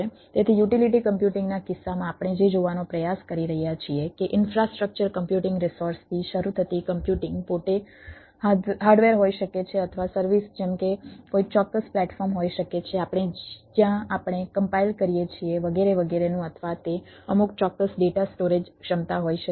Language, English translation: Gujarati, so, in the incase of utility computing, what we are trying to see, that the computing itself, starting from infrastructure computing resource may be, that is, hardware or the services like, may be ah, a particular platform, we, where we compile, etctera